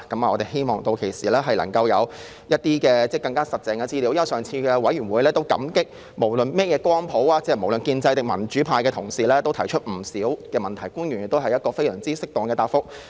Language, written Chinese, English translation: Cantonese, 我們希望屆時能夠有一些更實質的資料，因為在上次的小組委員會會議上，無論屬於甚麼政治光譜，是建制派還是民主派的同事，都提出不少問題，而官員亦給予非常適當的答覆。, We hope that by then more concrete information will be made available . That is because at the last meeting of the Subcommittee Members belonging to different political spectrum pro - establishment or democratic alike have raised a lot of questions and the officials have also given very appropriate replies